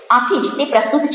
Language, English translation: Gujarati, so that's why its relevant